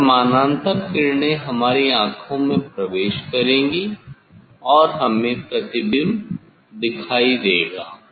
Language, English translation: Hindi, that parallel rays will enter into our eye and we will see the image